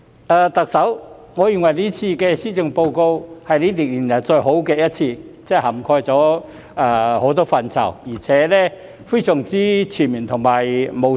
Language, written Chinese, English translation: Cantonese, 特首，我認為這份施政報告是5年來最好的一份，涵蓋了很多範疇，而且非常全面和務實。, Chief Executive in my view this Policy Address is the best among the five previous ones as it not only covers a number of areas but is also very comprehensive and pragmatic